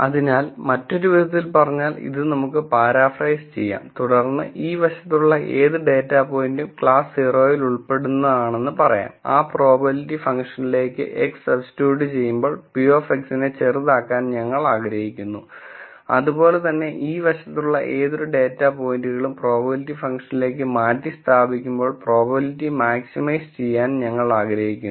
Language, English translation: Malayalam, So, in other words we can paraphrase this and then say for any data point on this side belonging to class 0, we want to minimize p of x when x is substituted into that probability function and, for any point on this side when we substitute these data points into the probability function, we want to maximize the probability